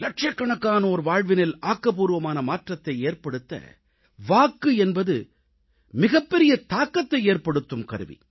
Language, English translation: Tamil, The vote is the most effective tool in bringing about a positive change in the lives of millions of people